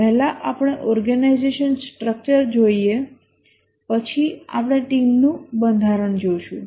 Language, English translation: Gujarati, First let's look at the organization structure, then we'll look at the team structure